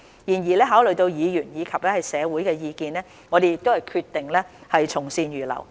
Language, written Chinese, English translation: Cantonese, 然而，考慮到議員及社會的意見，我們決定從善如流。, However taking into account the views of Members and the community we have decided to accept good advice